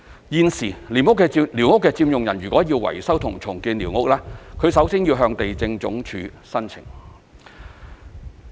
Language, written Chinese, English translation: Cantonese, 現時，寮屋的佔用人如要維修和重建寮屋，首先要向地政總署申請。, Currently if squatter occupants want to repair and rebuild their squatters they must apply to the Lands Department first